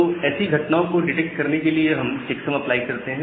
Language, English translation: Hindi, So, just to detect those kinds of things we apply the checksum